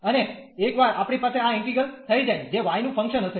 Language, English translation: Gujarati, And once we have this integral, which is will be a function of y